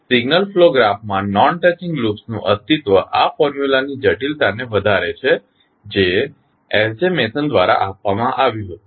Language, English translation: Gujarati, The existence of non touching loops in signal flow graph increases the complexity of this formula which was given by S J Mason